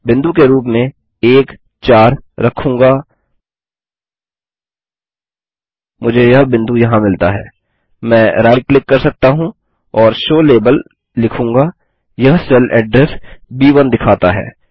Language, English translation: Hindi, And similarly I will in column B I will 1,4 as a point I get this point here I can right click and say show label it shows B1 the cell address